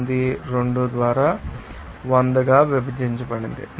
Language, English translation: Telugu, 0492 into 100 it will come as 48